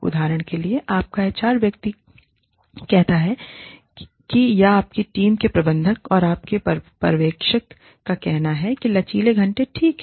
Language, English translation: Hindi, For example, your HR person says that, or your team manager, or your supervisor says that, flexi hours are okay